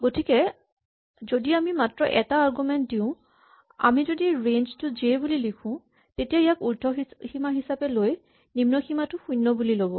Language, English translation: Assamese, So, if we will give only one argument if we just write range j, this is seen as the upper bound and the lower bound is 0